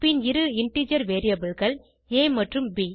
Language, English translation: Tamil, And two integer variables as a and b